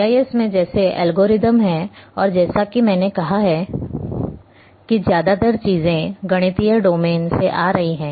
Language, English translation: Hindi, In GIS like algorithms are there and as I have said that most of the things are coming from mathematical domain